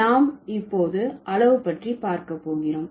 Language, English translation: Tamil, Now we are going to look for something quantitative